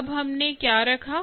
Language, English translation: Hindi, what did we put